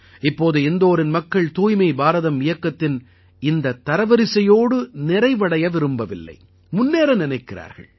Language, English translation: Tamil, Now the people of Indore do not want to sit satisfied with this ranking of Swachh Bharat, they want to move forward, want to do something new